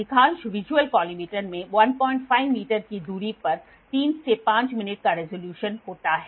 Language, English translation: Hindi, Most visual collimator have a resolution of 3 to 5 minutes over a distance of 1